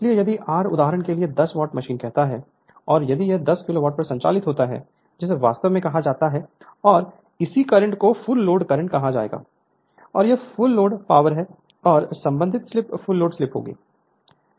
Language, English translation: Hindi, So, if you if r you say 10 watt machine for example, and if it operates at 10 kilowatt that is actually your call and corresponding current will be full load current, and that is the full load power and corresponding slip will be your full load slip